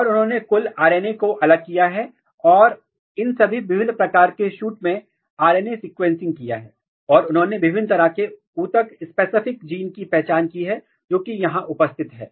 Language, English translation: Hindi, And they have extracted total RNA and they have performed RNA sequencing, across these different types of shoots and they have identified different tissue specific genes which are present here